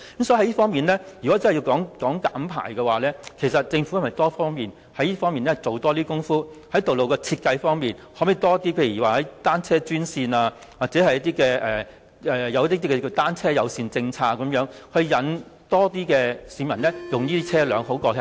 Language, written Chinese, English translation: Cantonese, 所以，若要減排，政府應在多方面下工夫，包括在道路設計上研究可否增設單車專線或推行單車友善政策，吸引更多市民使用單車代步。, Hence the Government should adopt a multi - pronged approach in implementing its emission reduction policies including studying the designation of dedicated cycle lanes or pursuing a bicycle - friendly policy to encourage more people to commute by bicycles